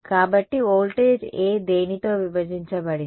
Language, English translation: Telugu, So, voltage A divided by what